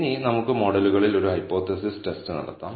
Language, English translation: Malayalam, Now, let us do a hypothesis test on the models